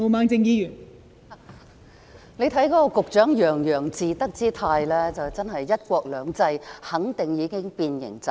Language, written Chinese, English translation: Cantonese, 大家看到局長洋洋自得之態，肯定"一國兩制"已經變形走樣。, Seeing the smug look of the Secretary I am sure that one country two systems has already been deformed and distorted